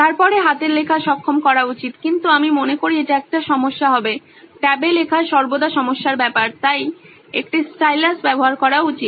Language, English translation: Bengali, Then handwriting should be enabled but I think that will be a problem, it is always a problem while writing in tab, so a stylus should be enabled